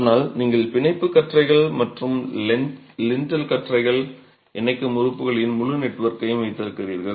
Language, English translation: Tamil, But you also have an entire network of connecting elements which are the bond beams and the lintel beams